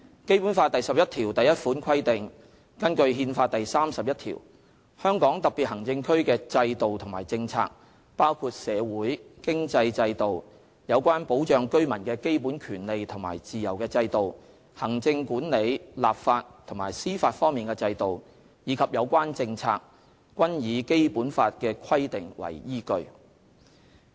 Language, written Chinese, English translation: Cantonese, "《基本法》第十一條第一款規定，根據《憲法》第三十一條，香港特別行政區的制度和政策，包括社會、經濟制度，有關保障居民的基本權利和自由的制度，行政管理、立法和司法方面的制度，以及有關政策，均以《基本法》的規定為依據。, Article 111 of the Basic Law stipulates that in accordance with Article 31 of the Constitution the systems and policies practised in HKSAR including the social and economic systems the system for safeguarding the fundamental rights and freedoms of its residents the executive legislative and judicial systems and the relevant policies shall be based on the provisions of the Basic Law